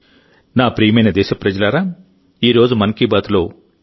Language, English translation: Telugu, My dear countrymen, that's all for today in 'Mann Ki Baat'